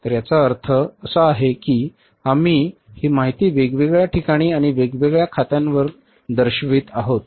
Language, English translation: Marathi, So it means we are going to show this information at the different places and for the on the different accounts